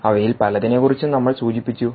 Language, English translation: Malayalam, we mentioned about many of them